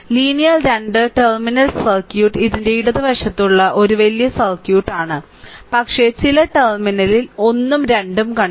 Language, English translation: Malayalam, And linear 2 terminal circuit this is a this is a big circuit to the left of this one, but some terminal 1 and 2 is there